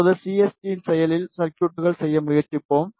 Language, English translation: Tamil, Now, we will try to make active circuits in CST